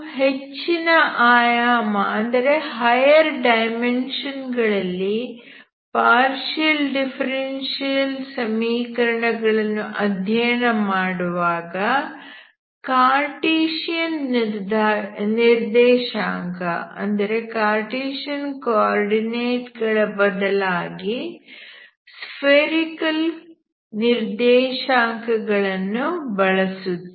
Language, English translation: Kannada, When you study partial differential equation in higher dimensions you convert this, you work with spherical coordinates instead of Cartesian coordinates